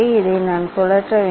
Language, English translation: Tamil, I have to rotate this one